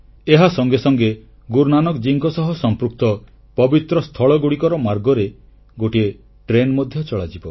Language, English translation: Odia, Besides, a train will be run on a route joining all the holy places connected with Guru Nanak Dev ji